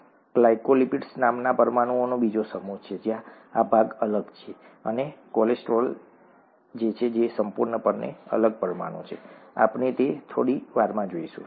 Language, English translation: Gujarati, There is another set of molecules called glycolipids where this part is different and cholesterol which is completely different molecule, we will see that in a little while, okay